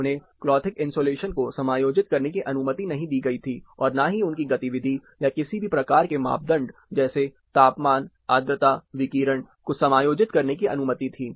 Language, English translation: Hindi, They were not adjusted allow adjusting their clothing insulation, nor adjusting their movement, or any kind of parameter, temperature, humidity, radiation, nothing